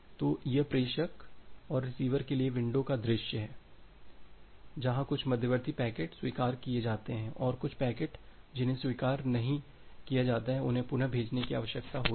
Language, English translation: Hindi, So, that is the view of window for the sender and the receiver where certain intermediate packets got acknowledged and some of the packets that are not got acknowledged and the packets which are not got acknowledged, that need to be retransmitted